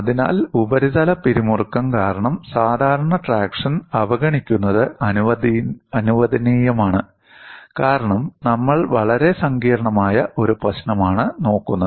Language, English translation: Malayalam, So, neglecting the normal traction due to surface tension is permissible, because we are looking at a very complex problem